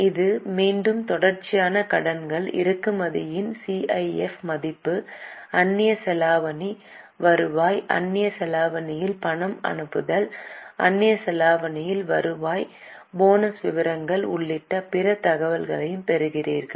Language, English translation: Tamil, Now you get other information which includes again contingent liabilities, CIF value of imports, foreign exchange earning, remittances in foreign currency, earnings in foreign exchange, the details of bonus